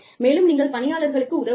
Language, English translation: Tamil, And, you need to help employees